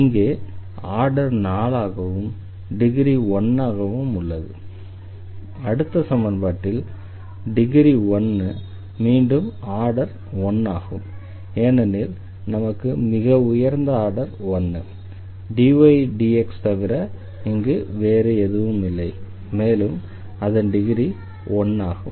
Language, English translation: Tamil, So, here the order is 4 and the degree is 1 in this equation again the order is 1 because we have the highest order is the first order like, dy dx term will be present here nothing else or the first order differentials are present in this case and the degree is also 1